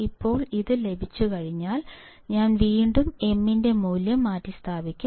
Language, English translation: Malayalam, Now, once I have this, I will again substitute value of m